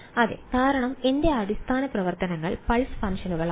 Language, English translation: Malayalam, Yes so because my basis functions are pulse functions